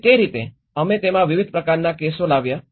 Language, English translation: Gujarati, So in that way, we brought a variety of cases in it